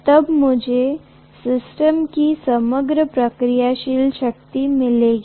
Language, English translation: Hindi, Then I will get the overall reactive power of the system